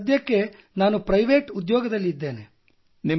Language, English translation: Kannada, Sir, presently I am doing a private job